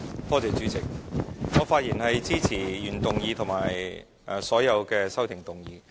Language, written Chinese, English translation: Cantonese, 我發言支持原議案和所有修正案。, I rise to speak in support of the original motion and all the amendments